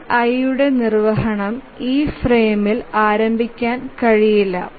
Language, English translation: Malayalam, So, the execution of the TI cannot be started in this frame